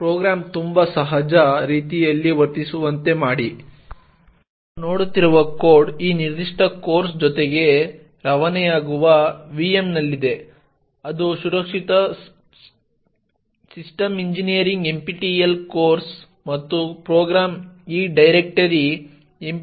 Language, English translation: Kannada, The code that we are looking at is present in the VM that is shipped along with this particular course that is the Secure System Engineering NPTEL course and the program as such is present in this directory NPTEL Codes/module7